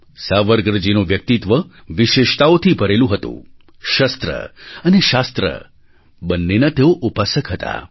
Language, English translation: Gujarati, Savarkar ji's personality was full of special qualities; he was a worshipper of both weapons or shashtra and Knowledge or shaashtras